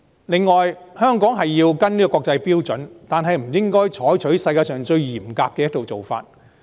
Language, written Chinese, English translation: Cantonese, 此外，香港要跟隨國際標準，但不應該採用世界上最嚴格的一套做法。, Moreover Hong Kong has to follow international standards but should not adopt the most rigorous set of practices in the world